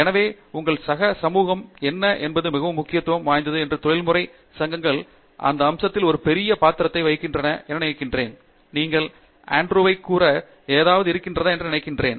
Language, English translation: Tamil, So, identifying what is your peer community is very important and I think professional societies play a big role in that aspect and you have something to say Andrew